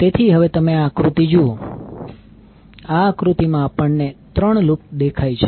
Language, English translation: Gujarati, So now if you see this figure in this figure, we see there are 3 loops